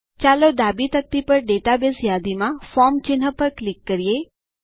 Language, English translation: Gujarati, Let us click on the Forms icon in the Database list on the left panel